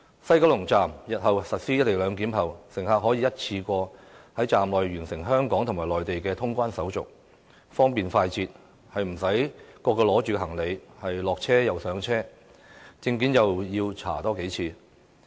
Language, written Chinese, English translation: Cantonese, 西九龍站實施"一地兩檢"後，乘客便可以一次過在站內完成香港和內地的通關手續，方便快捷，無須提着行李上車下車，又不用多次檢查證件。, After the implementation of the co - location arrangement at the West Kowloon Station passengers can undergo Hong Kong and Mainland immigration and customs clearance procedures at the Station conveniently without having to carry the luggage to board and alight trains or having their identity documents checked multiple times